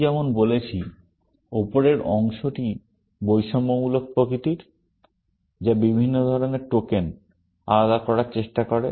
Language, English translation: Bengali, As I said, the top part is discriminative in nature, which tries to separate tokens of different kinds